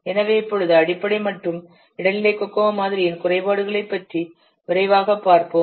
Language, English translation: Tamil, So now let's quickly see about the shortcomings of basic and intermediate Koko model